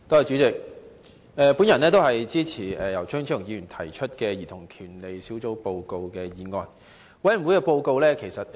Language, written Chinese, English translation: Cantonese, 主席，我也支持由張超雄議員提出的"兒童權利小組委員會的報告"議案。, President I support the motion on the Report of the Subcommittee on Childrens Rights the Report proposed by Dr Fernando CHEUNG